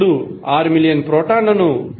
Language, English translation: Telugu, Now, for 6 million protons multiply 1